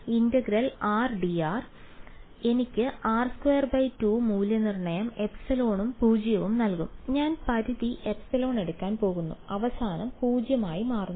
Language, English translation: Malayalam, Integral r d r will give me r squared by 2 evaluated epsilon and 0; and I am going to take the limit epsilon tending to 0 eventually right